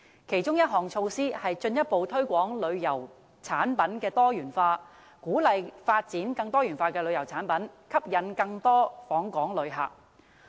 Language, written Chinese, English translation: Cantonese, 其中一項措施是進一步推廣旅遊產品多元化，鼓勵發展更多元化的旅遊產品，藉以吸引更多旅客訪港。, One of the measures is to further promote the diversification of tourism products and encourage the development of more diversified tourism products so as to attract more visitors to Hong Kong